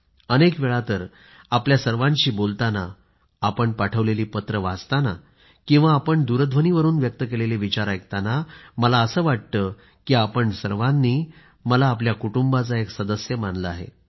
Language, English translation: Marathi, Many times while conversing with you, reading your letters or listening to your thoughts sent on the phone, I feel that you have adopted me as part of your family